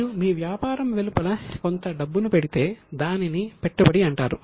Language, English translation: Telugu, So if you put in some money outside your business it is called as an investment